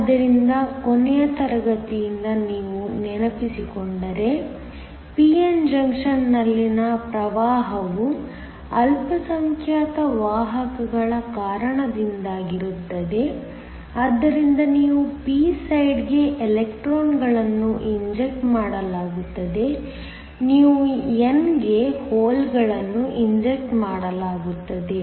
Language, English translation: Kannada, So, from last class if you remember, the current in the case of a p n junction is due to the minority carriers so that you have electrons that are injected in to the p side, you have holes that are injected in to the n side that causes the current